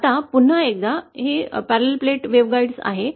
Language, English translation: Marathi, Now this is for a parallel plate waveguide, once again